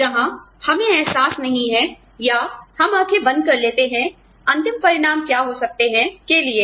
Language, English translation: Hindi, Where, we do not realize, or, we close eyes to, what the end consequences, may be